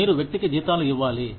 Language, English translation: Telugu, You have to give the person, salaries